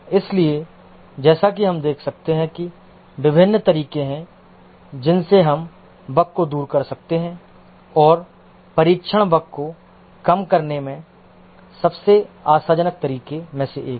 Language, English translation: Hindi, So as you can see that there are various ways in which we can remove the bugs and testing remains as one of the most promising ways of reducing the bugs